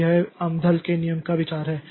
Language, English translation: Hindi, So, that is the idea of this Amdahl's law